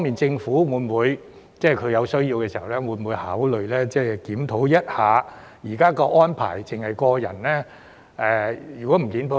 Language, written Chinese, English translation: Cantonese, 政府會否在有需要時，考慮檢討現時查閱安排只適用於個人的情況？, Will the Government consider when necessary reviewing the existing data access arrangement applicable only to individuals?